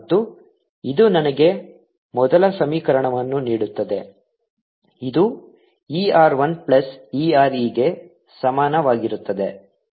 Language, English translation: Kannada, and this gives me the first equation, which is e r i plus e r is equal to e transmitted